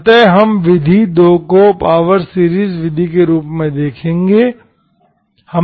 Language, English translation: Hindi, So we will see the method 2 as the power series method